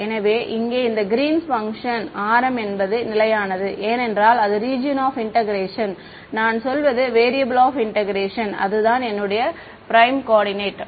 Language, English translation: Tamil, So, here in this Green's function r m is being held constant because the region of integration is I mean the variable of integration is my prime coordinate